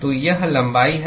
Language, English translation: Hindi, So, this is the length